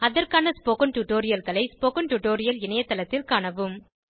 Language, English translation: Tamil, Please go through the relevant spoken tutorials on the spoken tutorial website